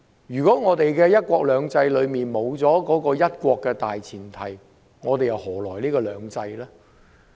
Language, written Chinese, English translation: Cantonese, 如果"一國兩制"中沒有"一國"的大前提，又何來"兩制"呢？, Without the premise of one country underlying one country two systems how can two systems exist?